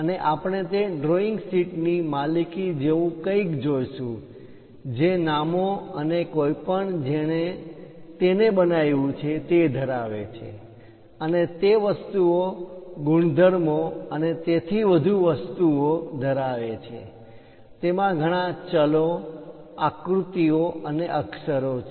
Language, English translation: Gujarati, And we will see something like a ownership of that drawing sheet; contains names and whoever so made it and what are the objects, properties, and so on so things; it contains many variables, diagrams, and letters